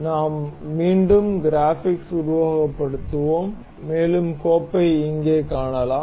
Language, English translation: Tamil, We will again simulate the graphics and we can see the file over here